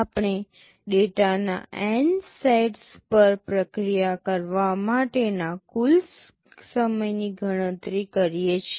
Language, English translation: Gujarati, We calculate the total time to process N sets of data